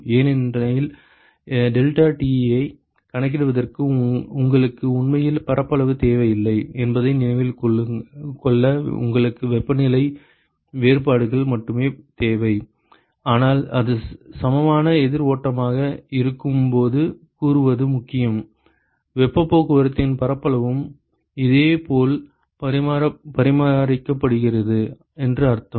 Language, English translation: Tamil, Because to remember that for calculating deltaT you really do not need area you only need the temperature differences, but it is important to say that when it is equivalent counter flow; it means that the area of heat transport is also maintained similar